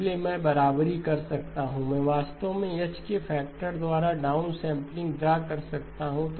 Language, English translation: Hindi, So I can equate, I can actually draw downsampling by a factor of H